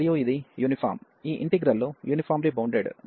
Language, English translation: Telugu, And this is uniform, these are these integrals are uniformly bounded